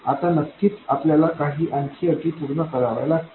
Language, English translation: Marathi, Now, of course, we have to satisfy some more conditions